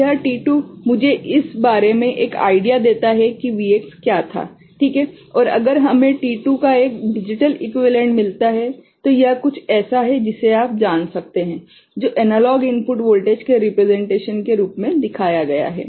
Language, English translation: Hindi, So, this t2 gives me an idea about what the Vx was, right and if we get a digital equivalent of t2 so, that is something can be you know, shown as a representation of the analog input voltage